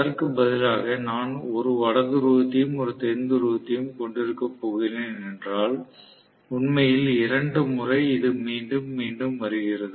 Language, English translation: Tamil, Instead, if I am going to have a North Pole and South Pole, actually repeating itself twice